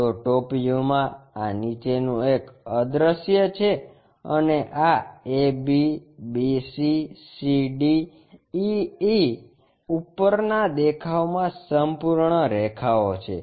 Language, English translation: Gujarati, So, in the top view, this bottom one is invisible and this ab, bc, cd, ea are full lines in top view